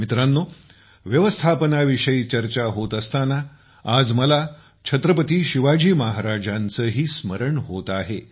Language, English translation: Marathi, Friends, when it comes to management, I will also remember Chhatrapati Shivaji Maharaj today